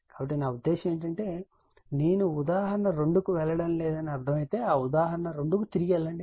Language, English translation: Telugu, So, if you I mean I am not going to the example 2, but we will just go to that go back to that example 2